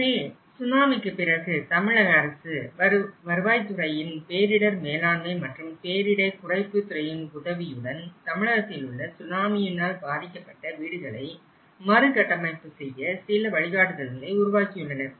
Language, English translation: Tamil, So, after the Tsunami, government of Tamil Nadu and with the help of Revenue Administration Disaster Management and Mitigation Department, they have also developed certain guidelines of reconstruction of houses affected by tsunami in Tamil Nadu